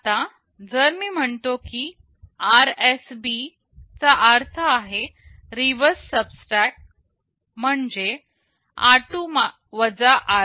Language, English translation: Marathi, Now, if I say RSB this stands for reverse subtract this means r2 r1